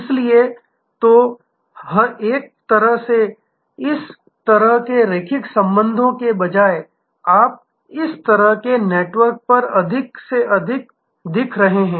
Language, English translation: Hindi, So, in a way instead of this kind of linear linkages by you are looking more and more at this kind of networks